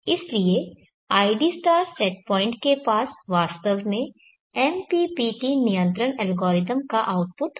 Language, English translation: Hindi, So therefore, id* set point should actually have the output of the MPPT control algorithm